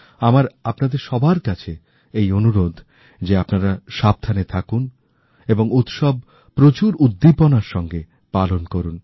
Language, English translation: Bengali, I urge all of you to take utmost care of yourself and also celebrate the festival with great enthusiasm